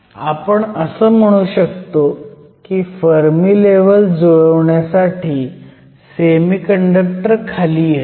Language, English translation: Marathi, So, we can say that the semi conductor comes down so that the Fermi levels line up